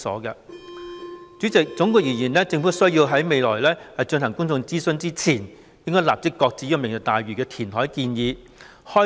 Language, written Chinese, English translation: Cantonese, 代理主席，總括而言，政府在未進行公眾諮詢前，應該立即擱置"明日大嶼願景"的填海建議。, Deputy President in sum before carrying out any public consultation the Government should shelve the reclamation proposal under the Vision immediately